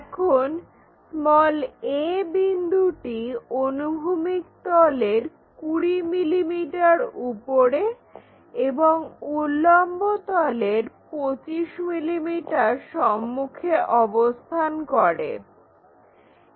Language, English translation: Bengali, Now, end a is 20 mm above horizontal plane and 25 mm in front of vertical plane